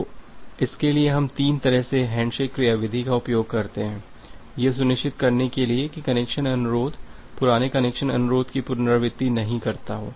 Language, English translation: Hindi, So, for that we use a three way handshake mechanism, to ensure that the connection request is not a repetition of the old connection request